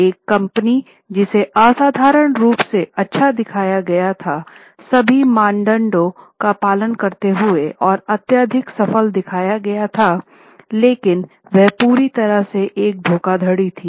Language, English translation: Hindi, A company which was shown to be extraordinarily good company, highly successful, following all norms, but was completely a fraud